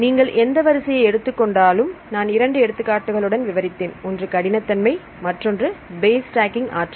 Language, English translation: Tamil, If we take any sequence, I will explained with two examples one is with the rigidity and one is with the base stacking energy